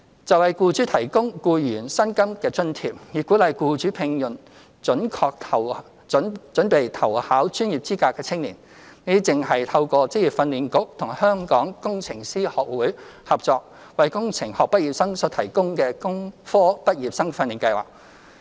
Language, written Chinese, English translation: Cantonese, 就為僱主提供僱員薪金津貼，以鼓勵僱主聘用準備投考專業資格的青年，這正是透過職業訓練局與香港工程師學會合作，為工程學畢業生所提供的工科畢業生訓練計劃。, With regard to providing employers with salary subsidies for employees so as to encourage employers to hire young people who are pursuing professional qualifications this is precisely the objective of the Engineering Graduate Training Scheme for engineering graduates organized jointly by the Vocational Training Council and the Hong Kong Institution of Engineers